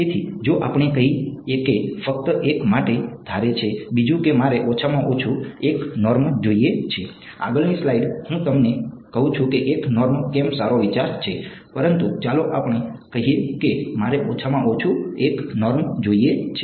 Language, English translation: Gujarati, So, if let us say just assume for a second that I want a minimum 1 norm, the next slides I tell you why 1 norm is a good idea, but let us say I wanted minimum 1 norm